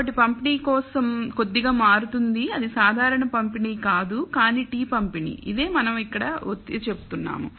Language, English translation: Telugu, So, the distribution slightly changes it is not the normal distribution, but the t distribution and that is what we are pointed out here